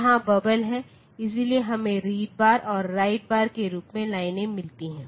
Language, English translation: Hindi, So, they are there are bubbles here, so we get the lines as read bar and write bar so these are the lines